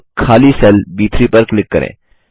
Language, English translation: Hindi, Now, click on the empty cell B3